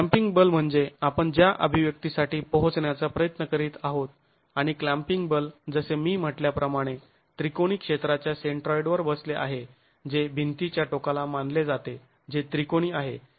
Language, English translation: Marathi, These clamping forces are what we are going to be trying to arrive at an expression for and these clamping forces as I said are actually sitting at the centroid of the triangular area that is being considered at the ends of the wall